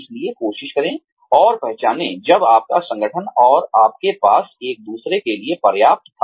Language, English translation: Hindi, So, try and recognize, when your organization and you have, had enough of each other